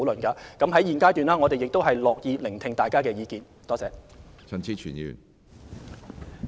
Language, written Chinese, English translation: Cantonese, 在現階段，我們樂意聽取大家的意見。, At the present stage we are happy to listen to public views